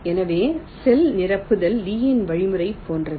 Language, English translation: Tamil, so the cell filling is similar to lees algorithm